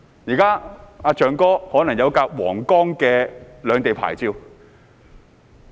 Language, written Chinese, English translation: Cantonese, 現在"象哥"可能有一輛通行皇崗的兩地牌照汽車。, Now Mr Elephant may have a car with dual licences to pass through Huanggang